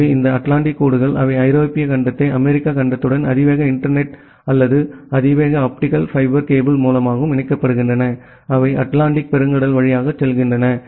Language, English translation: Tamil, So, this transatlantic lines, they interconnect the European continent with the US continent and the through high speed internet or high speed optical fiber cable; which are going through the Atlantic Ocean